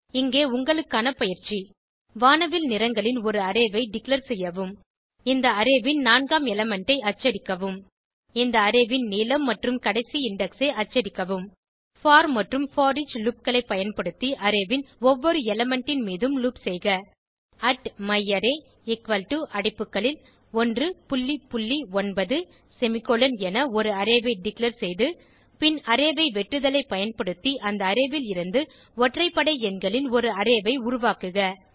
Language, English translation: Tamil, Here is assignment for you Declare an array of rainbow colors Print 4th element of this array Print Length and last index of this array Loop over each element of an array using for amp foreach loops Declare array as @myArray = open bracket 1..9 close bracket semicolon and then create an array of odd numbers from above array using array slicing